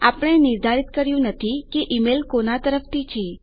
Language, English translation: Gujarati, We havent determined who the email is from